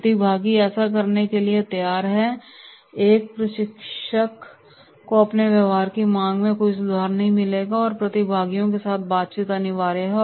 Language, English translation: Hindi, Participants are willing to do that, a trainer will find no improvement in the demand for his behaviour have a dialogue with the concerned participants